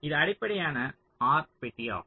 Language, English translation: Tamil, this is your basic r box